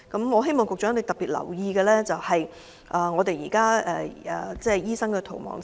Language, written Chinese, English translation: Cantonese, 我希望局長能特別關注現時醫生的"逃亡潮"。, I hope that the Secretary will pay special attention to the exodus of doctors especially that of experienced doctors